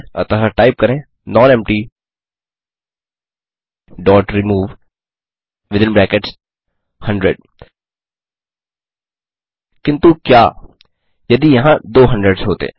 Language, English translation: Hindi, So type nonempty.remove But what if there were two 100s